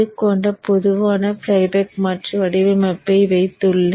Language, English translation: Tamil, I have put a generic flyback converter design which is multi output